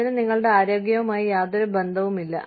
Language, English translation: Malayalam, It has nothing to do with your health